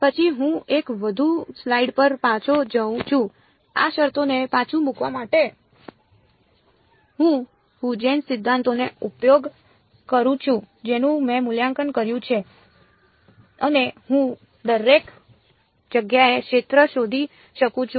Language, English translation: Gujarati, Then I go back even 1 more slide I use Huygens principle to put back these terms which I have evaluated and I can find the field everywhere